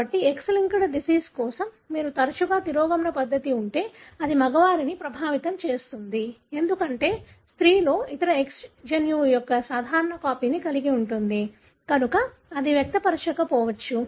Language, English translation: Telugu, So, if you have a recessive condition for X linked disease more often it would affect the male, because in female the other X would have a normal copy of the gene, therefore it may not express